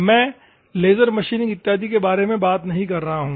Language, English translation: Hindi, I am not talking about laser machining or something